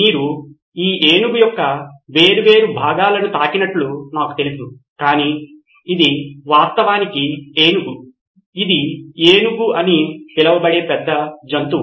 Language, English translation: Telugu, I know you guys have been touching different parts of this elephant but it’s actually an elephant, it’s an big animal called an elephant